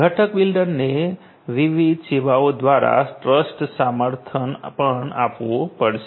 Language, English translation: Gujarati, The component builder will also have to provide trust support for different services